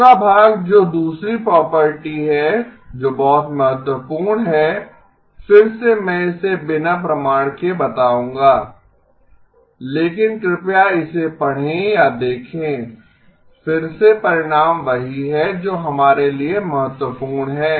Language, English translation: Hindi, The second part that second property that is very important, again I will state it without proof but please do read up or look up, again the result is what is important for us